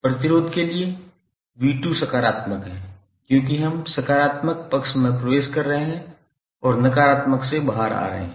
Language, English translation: Hindi, And then for the resistance, v¬2¬ is positive because we are entering into the positive side and coming out of negative